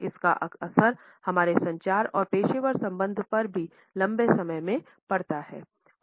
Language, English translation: Hindi, It also affects our communication and professional relationships too in the long run